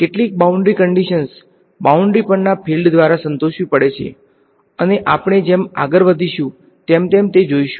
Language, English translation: Gujarati, Some boundary conditions have to be satisfied by the field on the boundary and we will look at those as we go